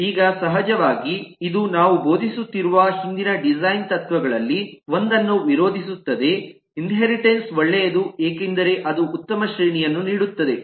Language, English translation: Kannada, now, of course, this will contradict one of the earlier design principles that we have been preaching is: inheritance is a good idea because it gives such a good hierarchy